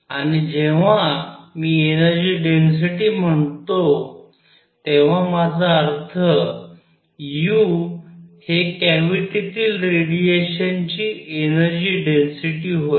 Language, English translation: Marathi, And when I say energy density I mean u is the energy density of radiation in the cavity